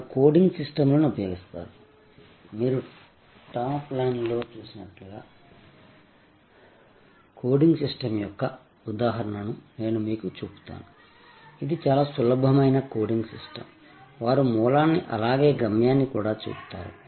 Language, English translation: Telugu, They use coding systems, I will show you the example of coding system as you see on the top line, this is the very simple coding system, they use which shows the origin as well as the destination